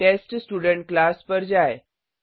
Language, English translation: Hindi, Let us go to the TestStudent class